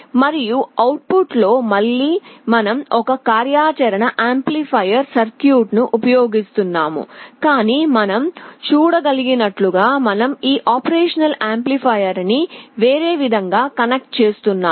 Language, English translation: Telugu, And in the output again, we are using an operational amplifier circuit, but we are connecting this op amp in a different way as you can see